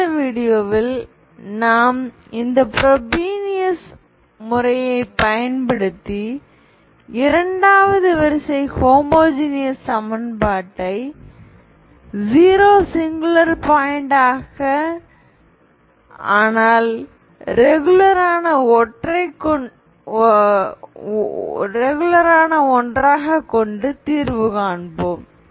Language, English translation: Tamil, So in the next video we will do this Frobenius method to solve the second order homogeneous equation with 0 being singular point but a regular one, okay